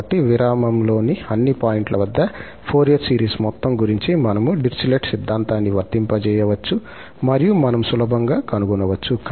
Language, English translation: Telugu, So, concerning the sum of the Fourier series at all points in the interval, we can apply Dirichlet theorem and we can easily find